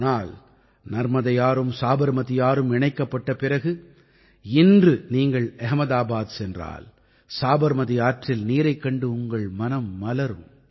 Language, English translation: Tamil, But river Narmada and river Sabarmati were linked…today, if you go to Ahmedabad, the waters of river Sabarmati fill one's heart with such joy